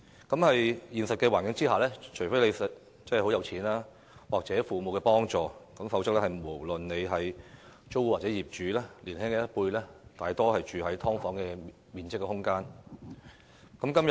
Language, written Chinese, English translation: Cantonese, 在現實生活中，除非市民很富有或有父母幫助，否則年輕一輩，無論是租戶或業主，大多數是住在只有"劏房"面積的空間。, In real life other than the very rich and those who receive help from their parents the younger generations be they tenants or landlords can mostly afford to live in small subdivided units